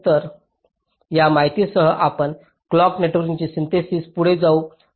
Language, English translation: Marathi, so so with that information you can proceed to synthesis the clock network